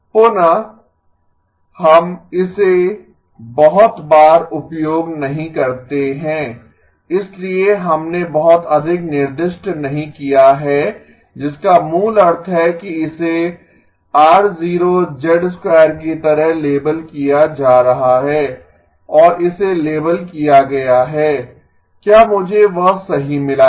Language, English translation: Hindi, Again, we do not use it too often, so we did not specify too much which basically means that this is being labeled as R0 of z squared and this has been labeled, did I get that correct